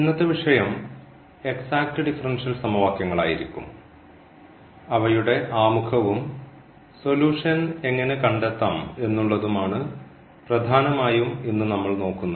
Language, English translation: Malayalam, Today’s topic will be the exact differential equations, so we will mainly look for the introduction to these exact differential equations and also how to find the solutions of exact differential equations